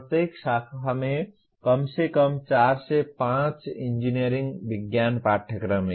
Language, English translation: Hindi, Each branch has at least 4 5 engineering science courses